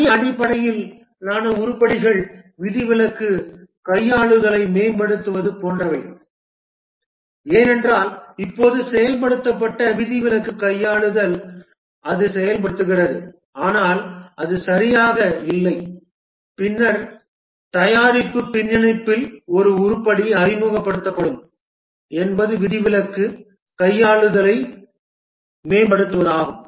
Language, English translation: Tamil, The task based items are like improve exception handling because still now what was implemented is that the exception handling it works but not that well and then an item in the product backlog will be introduced is that improve the exception handling